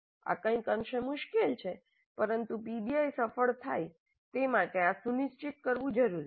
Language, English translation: Gujarati, This is somewhat tricky but it is required to ensure that PBI becomes successful